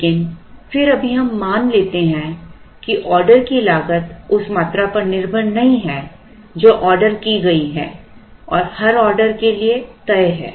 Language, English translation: Hindi, But, then right now we assume that the order cost is not dependent on the quantity that is ordered and is fixed for every order